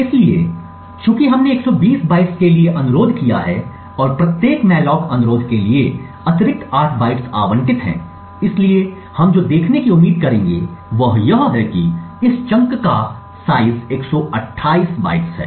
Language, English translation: Hindi, So, since we have requested for 120 bytes and there is an additional 8 bytes allocated for every malloc request, so what we would expect to see is that the size of this chunk is 128 bytes